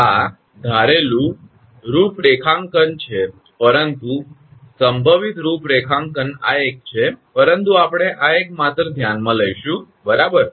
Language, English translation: Gujarati, This is the assumed configuration, but more likely configuration is this one, but we will consider this one only right, so as figure 8